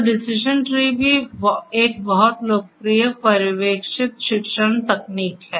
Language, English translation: Hindi, So, decision tree is also a very popular supervised learning technique